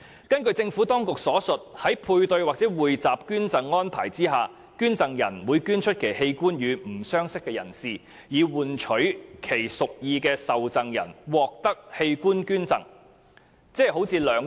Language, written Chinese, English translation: Cantonese, 根據政府當局所述，在配對或匯集捐贈安排下，捐贈人會捐出其器官予不相識的人，以換取其屬意的受贈人獲得器官捐贈。, According to the Administration under a paired or pooled donation arrangement a donor will donate an organ to a stranger in exchange for the donation of an organ to the donors intended recipient